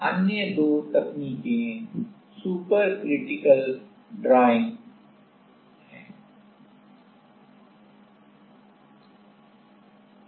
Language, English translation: Hindi, Other two techniques are super critical drying